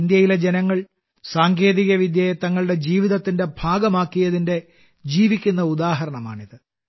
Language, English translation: Malayalam, This is a living example of how the people of India have made technology a part of their lives